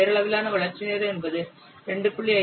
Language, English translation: Tamil, The nominal development time can be expressed as 2